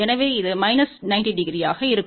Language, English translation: Tamil, So, this will be minus 90 degree